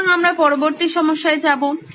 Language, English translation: Bengali, So we’ll go to the next problem